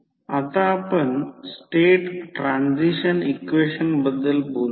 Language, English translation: Marathi, Now, let us talk about the state transition equation